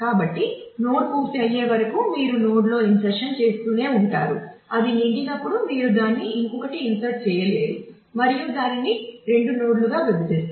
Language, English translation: Telugu, So, you keep on inserting in a node till it becomes full, when it becomes full you cannot insert any more you divide it and split it into two nodes